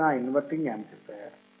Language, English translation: Telugu, This is a non inverting amplifier